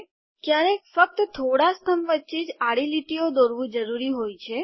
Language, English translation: Gujarati, Sometimes it is necessary to draw horizontal lines between only a few columns